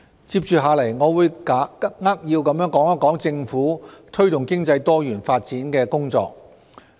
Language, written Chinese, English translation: Cantonese, 接着下來，我將扼要地說一說政府推動經濟多元發展的工作。, Next I will briefly explain the Governments work in the promotion of diversification of economic development